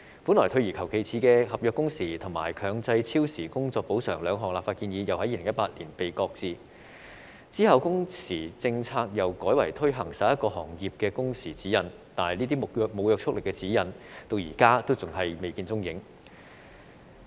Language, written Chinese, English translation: Cantonese, 本來退而求其次的合約工時和強制超時工作補償兩項立法建議又在2018年被擱置，之後工時政策又改為推行11個行業的工時指引，但這些沒有約束力的指引至今仍未見蹤影。, The fall - back legislative proposals that is contractual working hours and mandatory overtime compensation were also shelved in 2018 . And then the proposed working hours policy was subsequently switched to the 11 sector - specific working hours guidelines but these non - binding guidelines are yet to be seen . Hong Kong is known worldwide for its long working hours